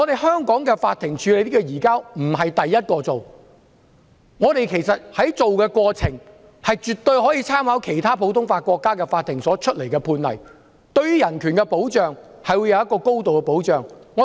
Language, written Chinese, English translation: Cantonese, 香港法庭並非最先處理移交逃犯的案件，處理案件時絕對可以參考其他普通法國家的法庭判例，對於人權會有高度的保障。, Hong Kong courts are not the first to deal with cases concerning surrender of fugitive offenders and they can certainly make reference to judgments made by courts in other common law countries when dealing with such cases . There will thus be a high level of protection for human rights